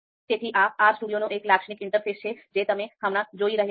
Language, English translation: Gujarati, So, this is the typical interface of RStudio that you are seeing right now